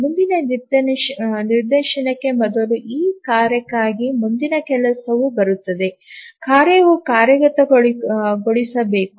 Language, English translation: Kannada, So, before the next instance, next job arrives for this task, the task must execute